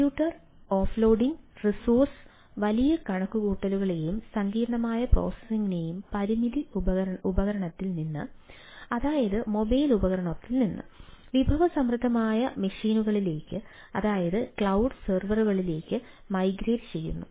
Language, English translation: Malayalam, computation of loading migrates large computations and complex processing from resource limited devices, that is, mobile devices, to resource full machines, that is, servers in clouds